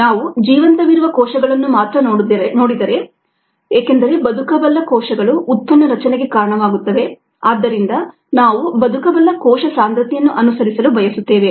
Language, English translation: Kannada, if we look at ah live cells alone, because the viable cells are the once that are contributing to product formation and so on, we would want to follow the viable cell concentration ah